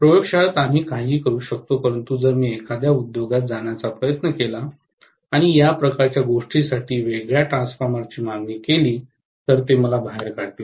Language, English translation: Marathi, In the laboratory we can do anything but if I try to go to an industry and ask for an isolation transformer for this kind of job, they will kick me out, right